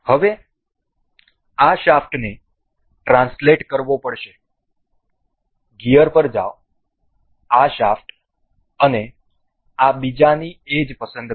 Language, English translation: Gujarati, Now and this shaft has to be translated to go to gear, this select this shaft and the edge of this other